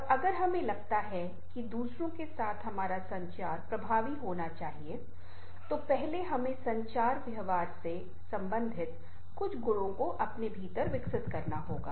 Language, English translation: Hindi, and if we feel that our communication with others ah should be effective, first we have to develop certain qualities within ourselves related to communication behavior